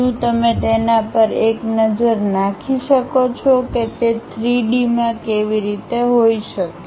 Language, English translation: Gujarati, Can you take a look at it how it might be in three dimension, ok